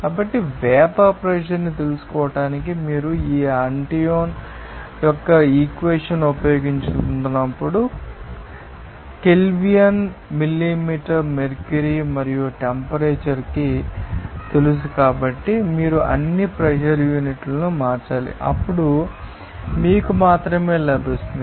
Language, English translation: Telugu, So, when a bar you are going to use this Antoine’s equation to find out the vapour pressure, you have to convert all the pressure units in terms of you know millimeter mercury and temperature in Kelvin, then only you will get